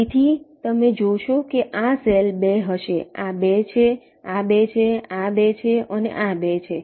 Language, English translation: Gujarati, so you see, this cell will be two, this is two, this is two, this two and this two